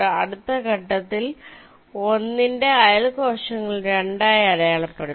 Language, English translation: Malayalam, in the next step, the neighboring cells of one will be marked as two